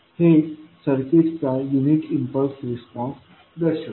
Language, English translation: Marathi, So, this represents unit impulse response of the circuit